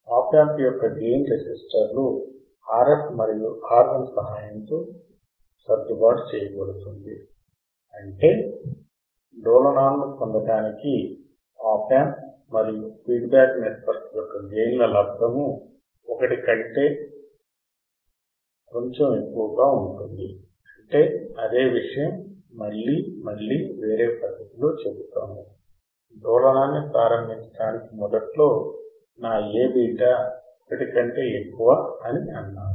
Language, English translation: Telugu, The gain of the op amp adjusted with the help of resistors RF and R I such that the product of gain of op amp and the feedback network is slightly greater than one to get the required oscillations; that means, what he said that the same thing again and again we will say in a different fashion that to start the oscillation initially my A into beta is crap greater than one